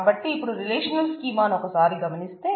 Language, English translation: Telugu, So, let us look at a relational schema